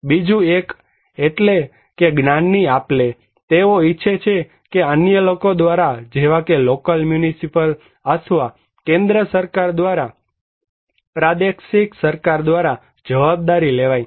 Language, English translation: Gujarati, Other one is that the transferring of knowledge, they want to take the responsibility by others like local municipal authority or by the central government on regional government